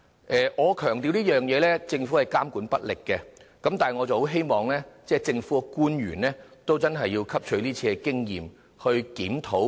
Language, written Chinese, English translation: Cantonese, 我要強調，政府的確監管不力，我十分希望政府官員能汲取今次經驗進行檢討。, I have to stress that the Government is slack in regulation . I earnestly hope that government officials will learn from this experience and conduct a review